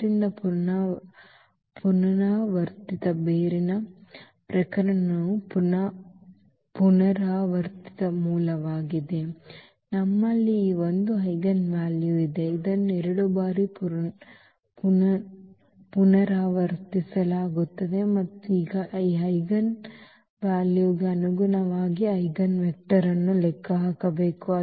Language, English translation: Kannada, So, it is a repeated root the case of the repeated root we have only this one eigenvalue which is repeated 2 times and now corresponding to this eigenvalue we need to compute the eigenvector